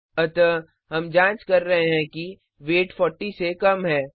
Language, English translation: Hindi, So We are checking if the value of weight is less than 40